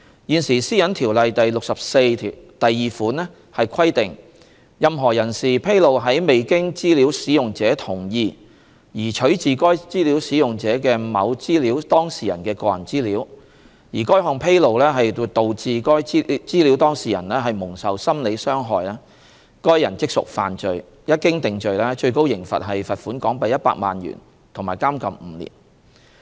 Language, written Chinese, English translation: Cantonese, 現時《私隱條例》第642條規定，任何人士披露在未經資料使用者同意而取自該資料使用者的某資料當事人的個人資料，而該項披露導致該資料當事人蒙受心理傷害，該人即屬犯罪，一經定罪，最高刑罰是罰款港幣100萬元及監禁5年。, It is currently stipulated under section 642 of PDPO that any person who discloses any personal data of a data subject which was obtained from a data user without the data users consent and such disclosure causes psychological harm to the data subject that person has committed an offence and is liable on conviction to a maximum penalty of a fine of HK1,000,000 and to imprisonment for up to five years